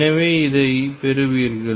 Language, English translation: Tamil, And therefore, you get this